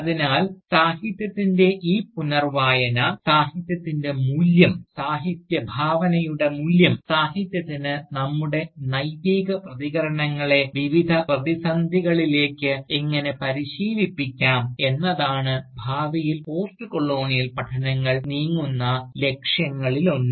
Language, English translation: Malayalam, So, this re imagining of Literature, of the value of Literature, of the value of Literary Imagination, and how Literature can train our Ethical responses, to various crisis, also presents itself, as one of the many directions, towards which Postcolonial studies might move towards, in the Future